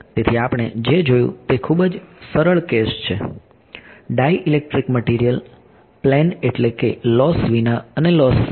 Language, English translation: Gujarati, So, what we have looked at is two very very simple cases dielectric material plane I mean without loss and with loss